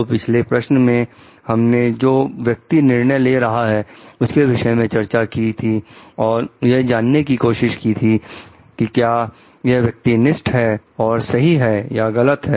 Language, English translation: Hindi, So, in the last question we discussed about the person who is making the decision and whether it is subjective decision and it is right and wrong